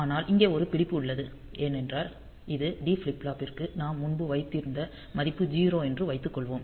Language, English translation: Tamil, But there is a catch here because suppose the value that we had previously put on to this D flip flop is 0